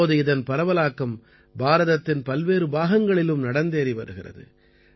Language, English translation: Tamil, This is now spreading very fast in different parts of India too